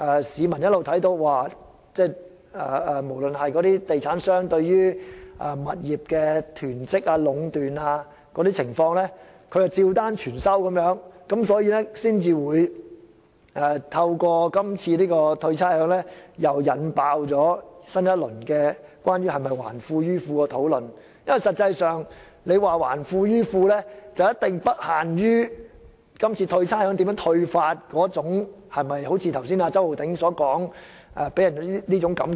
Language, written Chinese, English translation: Cantonese, 市民可以看到，地產商對物業的囤積和壟斷情況，政府照單全收，所以這次寬減差餉才會引爆新一輪關於政府是否"還富於富"的討論，而這項討論的範圍一定不限於今次寬減差餉的方式會否令人有周浩鼎議員剛才所說的感覺。, That is why the rates concession measure has triggered a new round of discussions about whether the Government is returning wealth to the rich . The scope of the discussion should definitely not be limited to whether the present arrangement for the provision of rates concession will give people the impression as depicted by Mr Holden CHOW just now